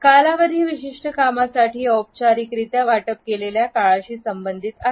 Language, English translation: Marathi, Duration is related with the time which is formally allocated to a particular event